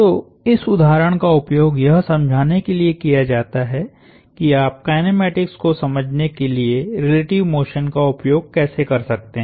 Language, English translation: Hindi, So, this example is used to illustrate how you could use relative motion to understand kinematics